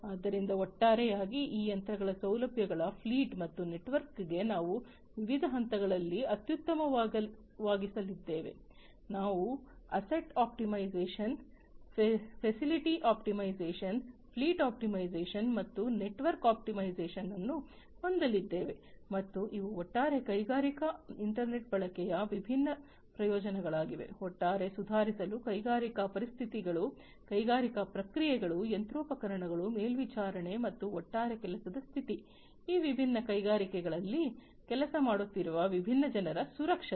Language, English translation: Kannada, So, overall corresponding to this machines facilities fleet and network we are going to optimize at different levels, we are going to have asset optimization, facility optimization, fleet optimization, and network optimization and these are the different benefits of the use of industrial internet overall to improve, the industrial conditions, the industrial processes, the machinery, the monitoring, and the overall working condition, the safety of the different people, who are working in these different industries